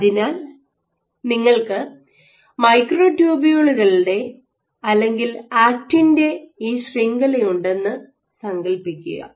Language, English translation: Malayalam, So, imagine you have this network of microtubules or actin